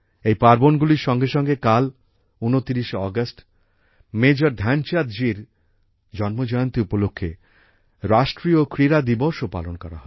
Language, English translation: Bengali, Along with these festivals, tomorrow on the 29th of August, National Sports Day will also be celebrated on the birth anniversary of Major Dhyanchand ji